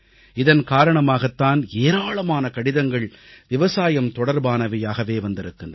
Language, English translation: Tamil, That is why a large number of letters on agriculture have been received